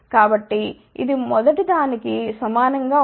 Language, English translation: Telugu, So, this would be same as the first one